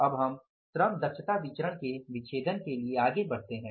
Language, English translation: Hindi, Now we go for the further dissection of labor efficiency variance